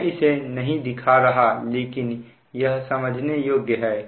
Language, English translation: Hindi, i am not showing it, it is understandable